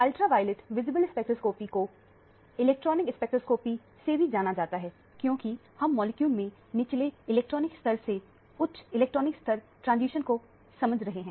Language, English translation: Hindi, The ultraviolet visible spectroscopy is also known as the electronic spectroscopy because we are dealing with transitions from lower electronic level through higher electronic level in the molecule